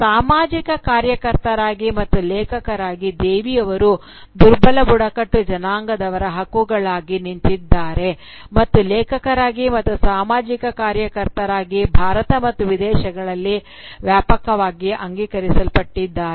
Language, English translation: Kannada, Both, as a social activist and as an author, Devi has stood up for the rights of the disempowered tribals and her work, both as an author, and as a social activist, has been widely acknowledged, both in India and abroad